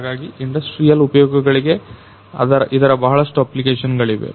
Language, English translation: Kannada, And so it has lot of applications for industrial uses